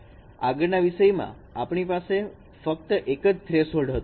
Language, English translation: Gujarati, In the previous case we have just only single thresholds